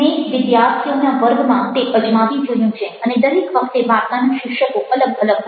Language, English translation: Gujarati, i tried it out with a class of students and the stories every time the titles were different